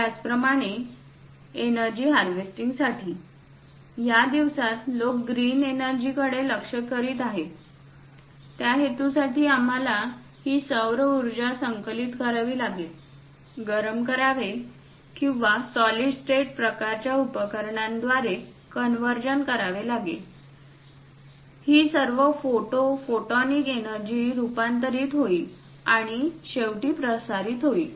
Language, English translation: Marathi, Similarly, for energy harvesting, these days green energy people are aiming for; for that purpose, we have to collect this solar power, heat the panels or converge through pressure electric kind of materials or perhaps through solid state kind of devices, all this photo photonic energy will be converted and finally transmitted